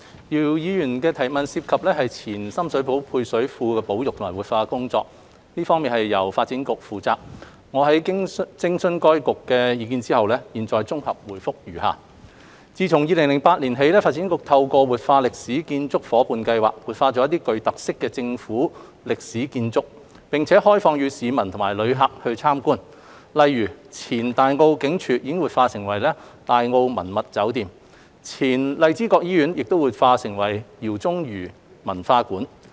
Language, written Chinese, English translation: Cantonese, 姚議員的質詢涉及的前深水埗配水庫保育及活化的工作，由發展局負責，我經諮詢該局的意見後，現綜合答覆如下：自2008年起，發展局透過活化歷史建築伙伴計劃，活化一些具特色的政府歷史建築，並開放予市民及旅客參觀，例如前大澳警署已活化為大澳文物酒店、前荔枝角醫院已活化為饒宗頤文化館。, The question raised by Mr YIU involves conservation and revitalization of the Ex - Sham Shui Po Service Reservoir which is under the purview of the Development Bureau DEVB . Having consulted DEVB I provide a consolidated reply as follows Since 2008 DEVB has revitalized some distinctive government historic buildings through the Revitalising Historic Buildings Through Partnership Scheme and opened such buildings for visit by the public and visitors . For example the Old Tai O Police Station has been revitalized into the Tai O Heritage Hotel and the former Lai Chi Kok Hospital has been revitalized into the Jao Tsung - I Academy